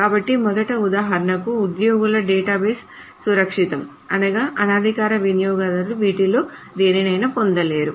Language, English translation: Telugu, So first of all, for example, the employee database is secure in the sense that an unauthorized user may not gain access to any of this